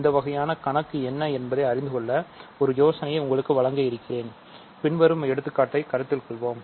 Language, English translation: Tamil, So, just to give you an idea of what the problem will be, let us consider the following example